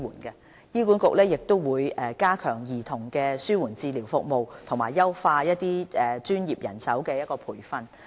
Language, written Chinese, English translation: Cantonese, 醫管局也會加強針對兒童的紓緩治療服務，以及優化專業人手的培訓。, HA will also strengthen paediatric palliative care service and improve training for professionals